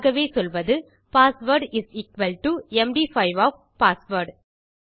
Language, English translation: Tamil, So I will just say password is equal to md5 of password